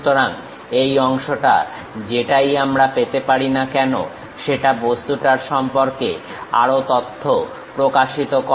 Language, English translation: Bengali, So, this part whatever we are going to get represents more information of the object